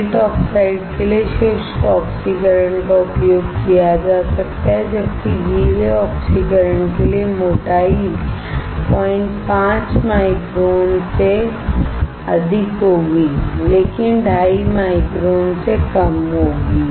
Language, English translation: Hindi, Dry oxidation can be used for the gate oxides, while for wet oxidation, the thickness will be greater than 0